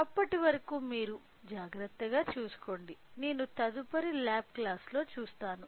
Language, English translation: Telugu, So, till then you take care I will see in next lab class